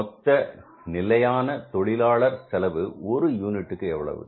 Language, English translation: Tamil, What is the standard labour cost per unit